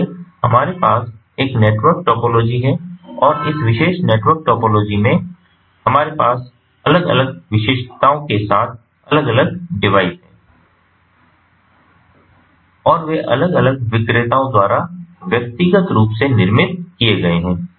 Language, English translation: Hindi, so what we are going to have is a network topology, and in in this particular network topology, we have different devices with different specifications, and they have been manufactured individually by different vendors